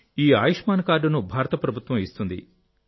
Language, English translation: Telugu, This Ayushman card, Government of India gives this card